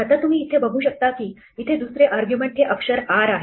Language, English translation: Marathi, Now, you see there is a second argument there, which is letter ‘r’